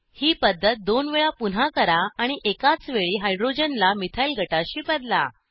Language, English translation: Marathi, Repeat this step another 2 times and replace one hydrogen at a time with a methyl group